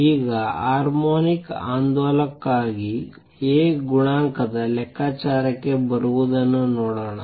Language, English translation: Kannada, Now, let us see come to calculation of A coefficient for a harmonic oscillator